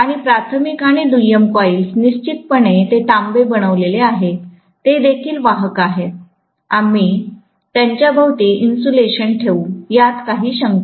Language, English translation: Marathi, And the primary and secondary coils, definitely they are made up of copper, they are also conductive, we will put insulation around them, no doubt